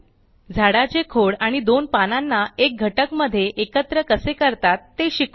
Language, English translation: Marathi, Let learn how to group the tree trunk and two leavesinto a single unit